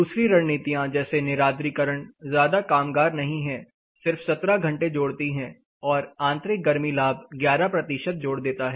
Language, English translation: Hindi, Then any other typical strategies for example, we can opt for dehumidification not very effective only 17 hours internal heat gain helps for about 11 percentage